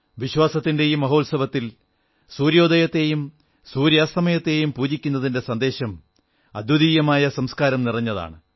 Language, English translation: Malayalam, In this mega festival of faith, veneration of the rising sun and worship of the setting sun convey a message that is replete with unparalleled Sanskar